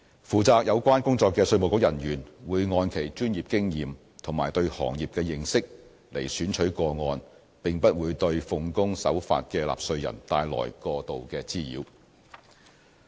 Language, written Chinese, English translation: Cantonese, 負責有關工作的稅務局人員，會按其專業經驗和對行業的認識來選取個案，並不會對奉公守法的納稅人帶來過度滋擾。, The relevant IRD officers are guided by their professional experience and knowledge of the industry in selecting the cases . They will not cause undue nuisance to law - abiding taxpayers